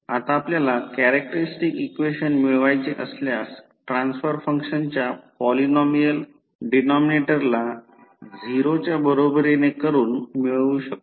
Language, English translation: Marathi, The characteristic equation you can obtain by equating the denominator polynomial of the transform function equal to 0